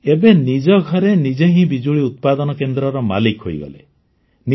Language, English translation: Odia, Now they themselves have become the owners of the electricity factory in their own houses